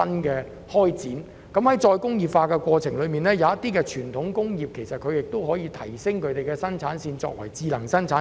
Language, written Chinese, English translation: Cantonese, 在再工業化的過程中，有些傳統工業其實可把生產線提升為智能生產線。, In the process of re - industrialization the production lines of certain traditional industries can actually be upgraded to become smart production lines